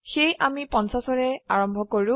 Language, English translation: Assamese, So we start with 50